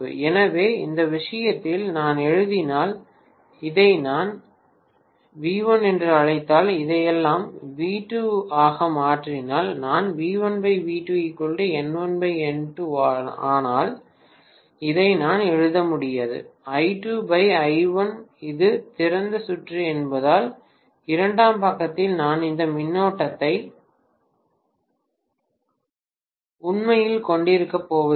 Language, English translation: Tamil, So in this case, if I write, if I may call this as V1, if I make all this as V2, I am going to have V1 by V2 equal to N1 by N2, but I cannot write this is equal to I2 by I1 because it is open circuited, I am not going to have any current on the secondary side literally, yes